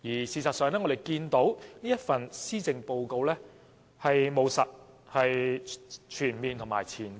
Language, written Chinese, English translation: Cantonese, 事實上，我們看到這份施政報告務實、全面而且具前瞻性。, In fact we can see that this Policy Address is pragmatic comprehensive and forwarding - looking